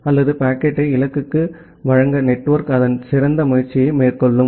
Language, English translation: Tamil, Or the network will try its best to deliver the packet to the destination